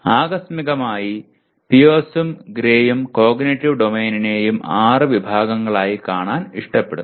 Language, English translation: Malayalam, Incidentally Pierce and Gray preferred to look at the Cognitive Domain also as six categories